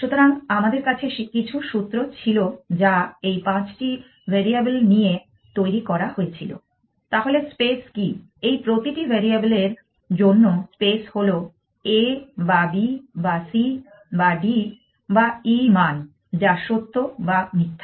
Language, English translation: Bengali, So, we had some formula which is construct over this 5 variables what is the space the space is for each variable a or b or c or d or e value of true or false